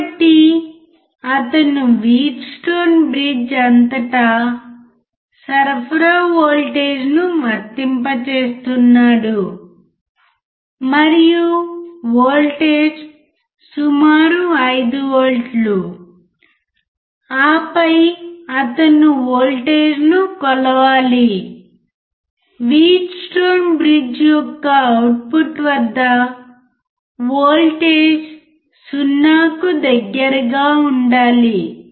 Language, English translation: Telugu, So, he is applying supply voltage across the Wheatstone bridge, and the voltage is about 5 volts, and then he has to measure the voltage, at the output of the Wheatstone bridge and the voltage should be close to 0